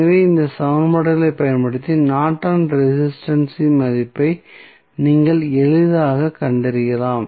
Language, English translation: Tamil, So, using these equations, you can easily find out the value of Norton's resistance